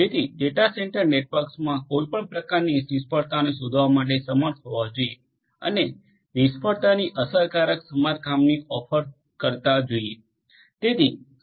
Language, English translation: Gujarati, So, you know data centre networks should be able to detect any kind of failure and should be if should offer efficient repair of failure